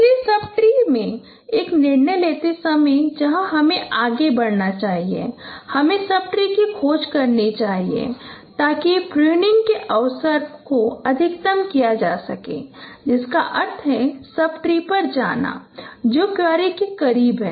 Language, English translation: Hindi, So while taking a decision in the sub tree where you will you should move next, you should search the sub tree to maximize the chance of pruning which means go to the sub tree which is closer to the query